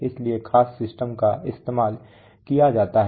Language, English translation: Hindi, So special systems are used